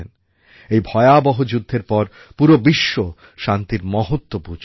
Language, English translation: Bengali, This made the whole world realize and understand the importance of peace